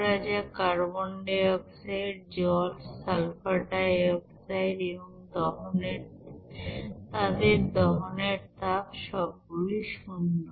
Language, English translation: Bengali, Like suppose carbon dioxide, water, sulfur dioxide, then their heat of combustion, are equal to zero